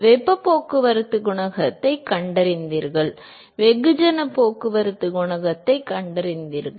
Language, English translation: Tamil, You found the heat transport coefficient, you found the mass transport coefficient